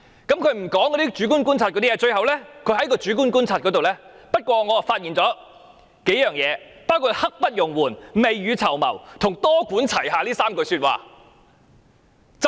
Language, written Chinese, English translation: Cantonese, 她沒有詳述主觀觀察的內容，卻引述專責小組認為社會普遍認同土地供應"刻不容緩"、"未雨綢繆"及"多管齊下 "3 個重點。, While she did not cite the contents of the subjective observations in detail she quoted the Task Forces view about the communitys broad agreement that land supply was pressing; that we should be prepared for the rainy days; and that a multi - pronged approach should be adopted